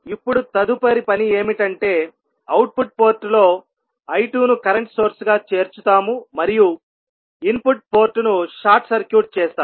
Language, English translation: Telugu, We will connect a current source I 2 at the output port and we will short circuit the input port